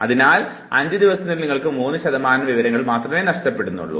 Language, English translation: Malayalam, So, in 5 days you lose only 3 percent of information